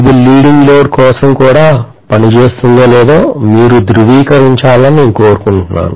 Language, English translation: Telugu, I want you guys to verify whether this works for leading load as well